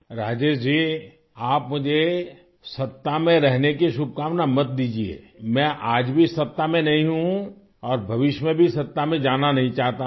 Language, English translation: Urdu, Rajesh ji, don't wish me for being in power, I am not in power even today and I don't want to be in power in future also